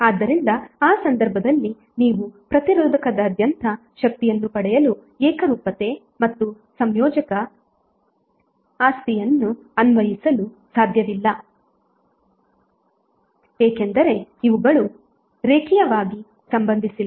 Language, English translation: Kannada, So in that case you cannot apply the homogeneity and additivity property for getting the power across the resistor because these are not linearly related